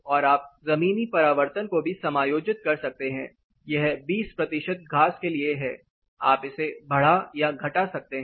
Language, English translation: Hindi, And you can also adjust the ground reflectance say this says 20 percent is for grass you can increase or decrease this